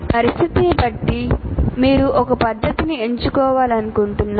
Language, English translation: Telugu, Depending on the situation, you want to use a method